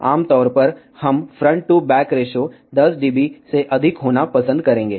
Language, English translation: Hindi, Generally, we would prefer front to back ratio to be greater than 10 dB